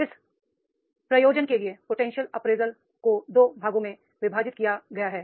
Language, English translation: Hindi, For this purpose, what is the potential appraisal is divided into two parts